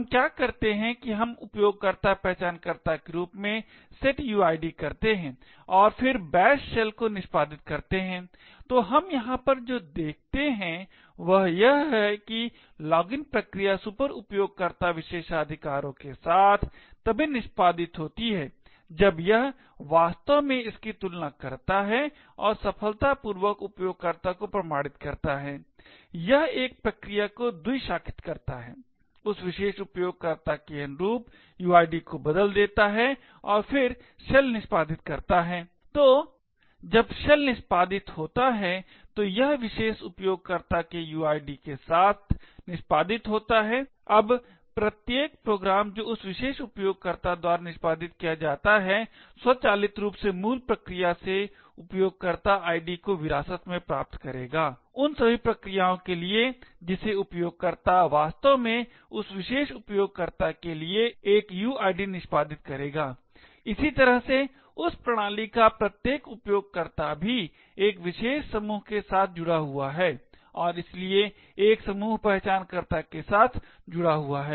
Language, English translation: Hindi, What we do is that we would setuid corresponding to the users identifier and then execute the bash shell, so what we see over here is that even though the login process executes with superuser privileges when it actually compare this and successfully authenticates the user, it forks a process, changes the uid corresponding to that particular user and then executes the shell, So therefore when the shell executes, it executes with the uid of that particular user, now every program that gets executed by that particular user would automatically inherit the user id from the parent process, the for all the processes that the user actually executes would have a uid corresponding to that particular user, in a very similar way each user of that system is also associated with a particular group and therefore associated with a group identifier